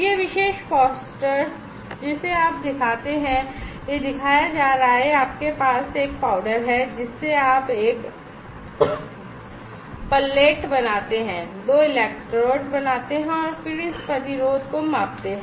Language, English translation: Hindi, This particular poster you show it is being showed that you have a powder you make a pullet out of it make two electrode and then measure this resistance